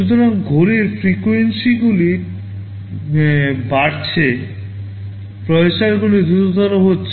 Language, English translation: Bengali, So, the clock frequencies are increasing, the processors are becoming faster